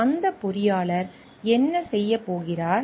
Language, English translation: Tamil, What is that engineer going to do